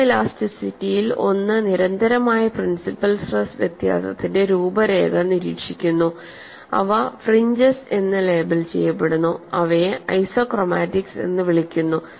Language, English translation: Malayalam, In photo elasticity, one observes contours of constant principal stress difference which are labelled as fringes and these are known as isochromatics, and how are they mathematically related